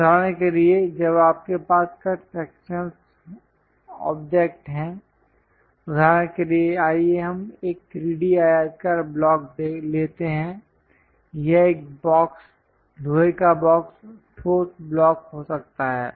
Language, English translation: Hindi, For example, when you are having a cut sections object for example, let us take a rectangular block 3D one; it can be a box, iron box, solid block